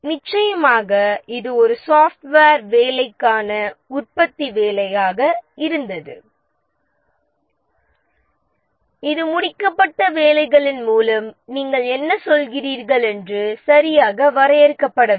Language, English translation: Tamil, Of course, this was for a manufacturing job, for a software job, it's not so well defined that what do we mean by pieces of work completed